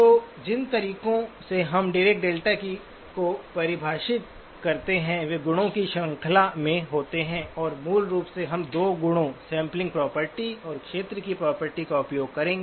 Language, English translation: Hindi, So the ways in which we define the Dirac delta are by series of properties and basically we will use 2 properties, the sampling property and the area property